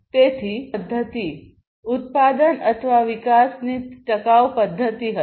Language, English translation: Gujarati, So, that will be a sustainable method of manufacturing, sustainable method of production or development